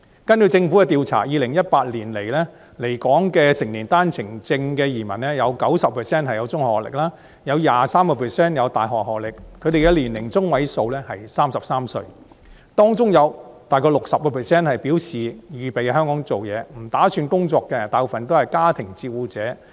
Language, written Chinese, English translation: Cantonese, 根據政府的調查 ，2018 年來港的成年單程證移民，有 90% 具中學學歷，有 23% 具大學學歷，他們的年齡中位數是33歲，當中有大約 60% 表示預備在香港工作，不打算工作的大部分都是家庭照顧者。, According to the Governments survey 90 % of the adult OWP entrants to Hong Kong in 2018 had middle school qualifications and 23 % possessed university qualifications . Their median age was 33 and around 60 % of them indicated that they prepared to seek employment in Hong Kong . Those who did not intend to do so were mostly homemakers